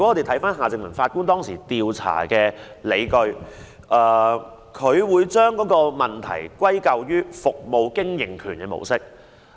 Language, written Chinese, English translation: Cantonese, 翻看夏正民法官當時調查的理據，他將問題歸咎於"服務經營權模式"。, Referring to the justifications of the investigation as stated by Mr Justice Michael John HARTMANN back then he attributed the cause of the problems to the concession approach